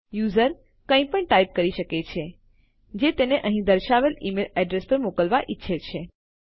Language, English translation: Gujarati, The user can type in whatever they want to send to the email address that is specified here